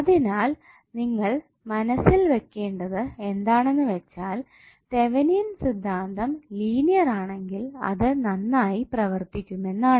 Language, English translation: Malayalam, So you have to keep in mind that the Thevenin’s theorem works well when the circuit is linear